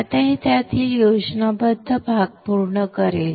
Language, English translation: Marathi, Now this will complete the schematic part of it